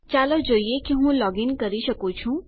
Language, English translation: Gujarati, Lets see if I can login